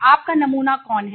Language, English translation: Hindi, Who is your sample